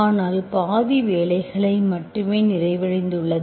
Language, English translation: Tamil, But you have done only half work